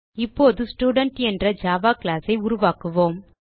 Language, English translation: Tamil, We will now create a Java class name Student